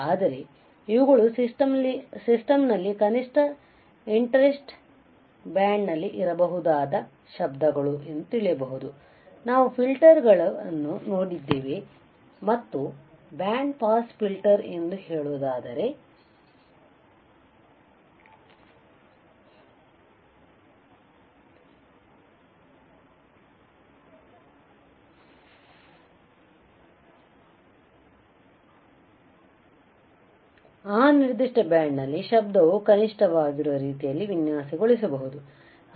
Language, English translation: Kannada, But if we know that these are the noises possibly present in the system at least in the band of interest rate right, we have seen filters and let us say this is the band pass filter this is a band of our interest correct, this is band of our interest